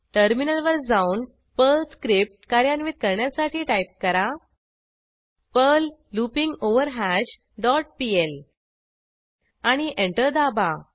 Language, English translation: Marathi, Then, switch to terminal and execute the Perl script as perl loopingOverHash dot pl and press Enter